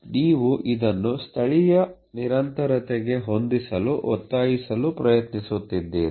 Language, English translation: Kannada, So, you are trying to force fit this into a local continuity